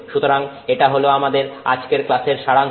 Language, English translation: Bengali, So, that's the summary of our class today